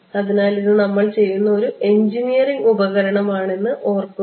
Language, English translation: Malayalam, So, remember it is an engineering tool kind of a thing that we are doing